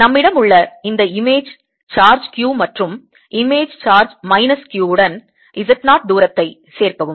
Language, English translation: Tamil, is it that we have this image charge q and image charge minus q